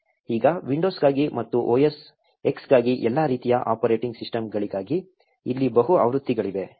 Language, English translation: Kannada, Now, there are multiple versions here for Windows and for OS X for all kinds of operating system that are there